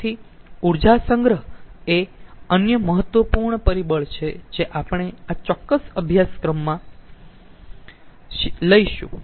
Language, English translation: Gujarati, so energy storage is another important aspect which we are going to deal in this particular course